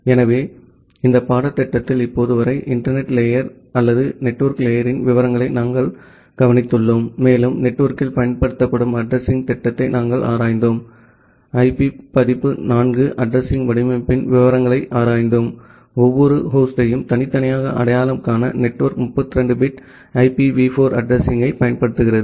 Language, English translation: Tamil, So, in this course till now we have looked into, the details of the internet layer or the network layer and we have looked into the addressing scheme, which is used in the network and we looked into the details of IP version 4 addressing format; where the network uses a 32 bit IPv4 address to individually identify each host